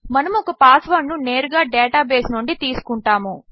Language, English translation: Telugu, We would be taking a password straight for our database